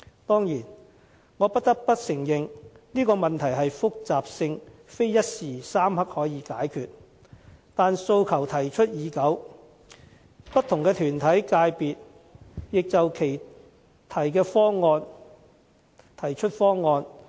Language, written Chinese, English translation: Cantonese, 當然，我不得不承認這問題的複雜性非一時三刻可以解決，但訴求提出已久，不同團體、界別也提出其方案。, I must of course admit that the complexity of the issue cannot possibly be tackled overnight . But the request was already made a very long time ago and many different organizations and sectors have put forward their proposals